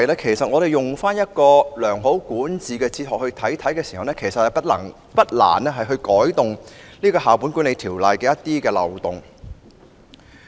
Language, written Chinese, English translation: Cantonese, 如果我們用一套良好管治哲學審視《教育條例》，便不難修補《教育條例》的一些漏洞。, If we review the Education Ordinance in the light of the philosophy of good governance it will not be difficult to plug some of the loopholes in the Education Ordinance